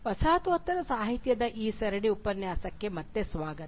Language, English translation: Kannada, Welcome back to this series of lecture on postcolonial literature